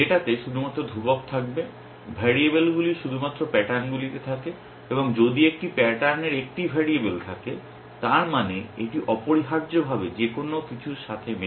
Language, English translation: Bengali, The data will only have constants, variables are only in the patterns and if a pattern has a variable it means it can match anything essentially